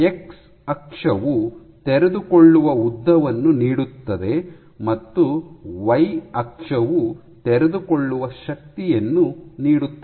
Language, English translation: Kannada, So, your X axis gives us unfolded length and the Y axis gives you unfolding force